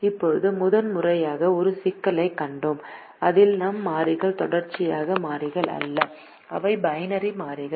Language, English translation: Tamil, now, for the first time we have seen a problem in which our variables are not continuous variables, they are binary variables